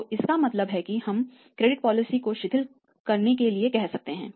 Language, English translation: Hindi, So, it means we can go for say relaxing the credit policy